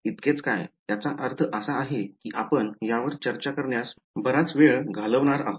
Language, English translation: Marathi, What is so, I mean we have going to spent a long time discussing this